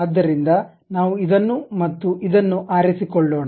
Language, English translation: Kannada, So, let us pick this one and this one